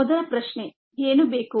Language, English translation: Kannada, first question: what is needed